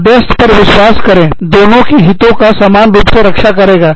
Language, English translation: Hindi, Trust the arbitrator, equally, to take care of their interests